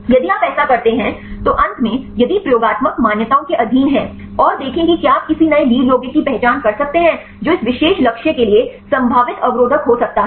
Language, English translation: Hindi, If you do that then finally, if subjected to experimental validations and see whether you could identify any new lead compounds which could be potentially inhibitor for this particular target